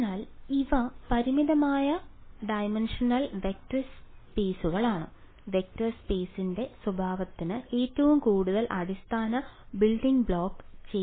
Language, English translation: Malayalam, So, these are finite dimensional vector spaces, to characterize vector space, what does the most sort of basic building block